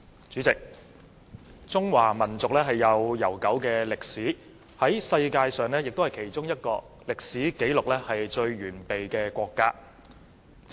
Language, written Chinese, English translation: Cantonese, 主席，中華民族有悠久的歷史，也是世界上其中一個歷史紀錄最完備的國家。, President the Chinese nation has a long history and is also one of the countries with the most complete historical record in the world